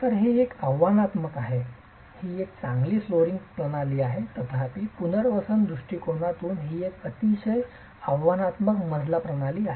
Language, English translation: Marathi, So this is a rather challenging, it's a good flooring system however from a rehabilitation point of view it's a very challenging flow system